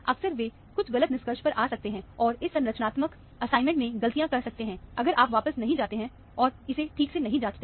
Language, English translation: Hindi, Often, they can come to some wrong conclusion, and make mistakes in this structural assignment, if you do not go back and check it properly